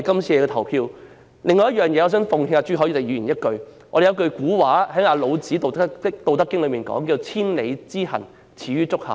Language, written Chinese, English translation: Cantonese, 此外，我想奉勸朱凱廸議員一句，老子《道德經》有一句古話："千里之行，始於足下"。, In the days to come we will still request Secretary Dr LAW Chi - kwong to make a pledge by telling us when the duration of paternity leave will be further increased